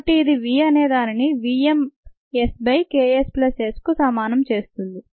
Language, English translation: Telugu, so this is v equals v m s by k s plus s